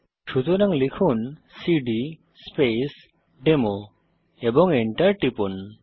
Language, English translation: Bengali, So type cd Space Demo and hit Enter ls, press Enter